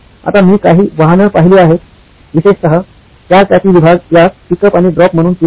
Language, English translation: Marathi, Now, I have seen a few automobile, particularly in the four wheeler segment adopt this as a pick up and drop